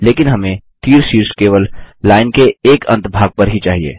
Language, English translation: Hindi, But we need an arrowhead on only one end of the line